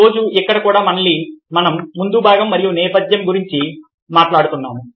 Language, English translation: Telugu, today, here also, we again talking about foreground and background